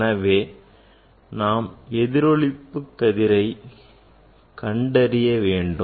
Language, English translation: Tamil, we can say that is the Bragg reflection